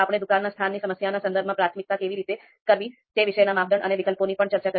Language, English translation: Gujarati, We also discussed for criteria and alternatives, how the priority prioritization has to be done, so that we discussed in the context of shop location problem